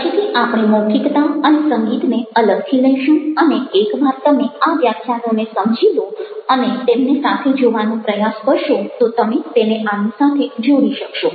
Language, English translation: Gujarati, later on we will take up orality or music separately and you will be able to link it to this once you explore this lectures and try to link them together